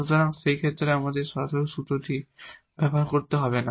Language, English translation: Bengali, So, we do not have to use this direct formula in that case